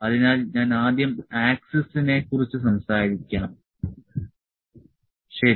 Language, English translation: Malayalam, So, let me first talk about the axis, ok